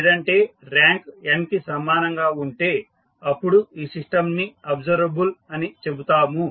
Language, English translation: Telugu, Otherwise when the rank is equal to n you will say the system is observable